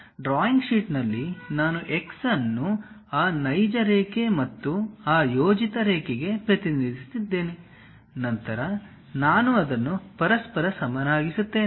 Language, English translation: Kannada, So, on drawing sheet, if I am going to represent the same x for that real line and also this projected line; then I have to equate each other